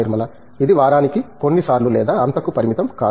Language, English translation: Telugu, It is not like restricted to few times a week or so